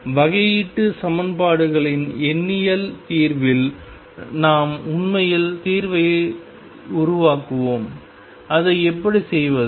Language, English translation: Tamil, So, in numerical solution of differential equations we actually construct the solution how do we do that